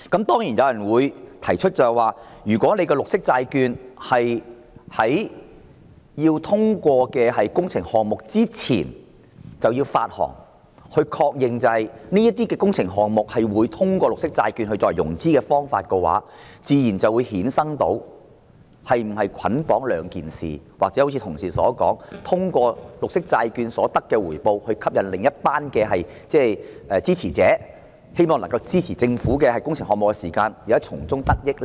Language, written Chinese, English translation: Cantonese, 當然，有人提出，如果綠色債券須在通過工程項目撥款申請前發行，以確認這些工程項目會以綠色債券作為融資的方法，這自然會衍生是否捆綁的問題，或正如議員同事說，利用綠色債券可獲得的回報來吸引另一群支持者，希望他們在支持政府工程項目的同時，能夠從中得益呢？, Some people raised the question of bundling if a green bond must be issued before the funding application for a works project is approved in order to confirm that the works will be financed by the green bond . Or as Honourable colleagues have remarked the potential returns of green bonds can help the Government gain supporters for its works projects who expect to reap some benefits while supporting government works projects?